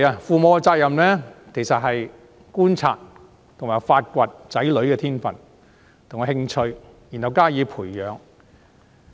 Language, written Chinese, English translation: Cantonese, 父母的責任是觀察和發掘子女的天分和興趣，然後加以培養。, A duty of parents is to observe discover and develop talents and interests in their children